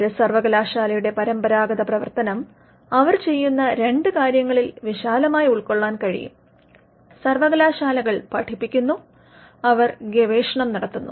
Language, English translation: Malayalam, The traditional function of a university can be broadly captured under two things that they do, universities teach, and they do research